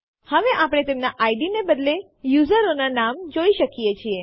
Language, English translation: Gujarati, Now we can see the names of the users instead of their ids